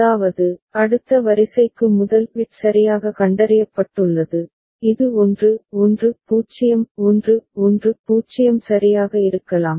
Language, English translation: Tamil, That means, first bit is correctly detected for the next sequence which could be 1 1 0 1 1 0 right